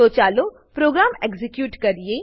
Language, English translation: Gujarati, So, let us execute the programme